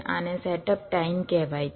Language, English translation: Gujarati, this is the so called setup time